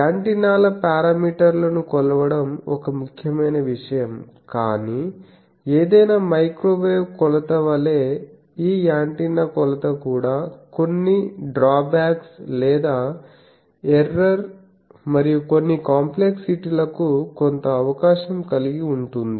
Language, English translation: Telugu, So, measuring antennas parameters is an important thing, but like any microwave measurement this antenna measurement also has certain drawbacks or certain chance of error and certain complexities